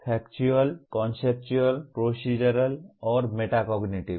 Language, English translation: Hindi, Factual, Conceptual, Procedural, and Metacognitive